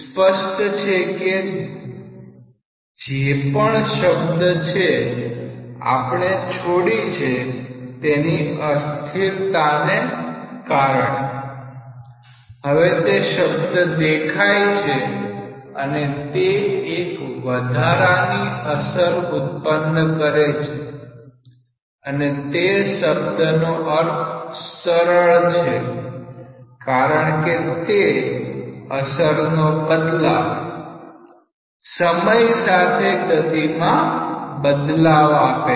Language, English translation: Gujarati, So, what is clear is that whatever term, we have dropped because of steadiness, now that term has appeared and it is just creating an extra effect and the meaning of this term is quite clear because it gives a variation of the effect of the variation of the velocity with respect to time